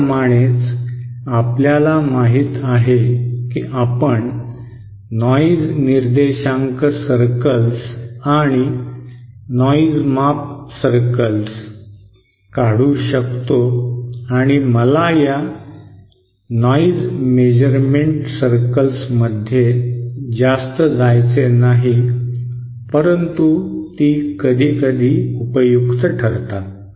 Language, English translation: Marathi, In the same that we can you know draw noise figure circles we can also draw noise measure circles and I donÕt want to go too much into these noise measure circles but they are useful sometimes